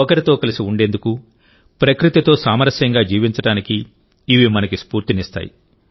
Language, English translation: Telugu, They inspire us to live in harmony with each other and with nature